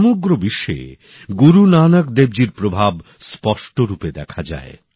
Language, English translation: Bengali, The world over, the influence of Guru Nanak Dev ji is distinctly visible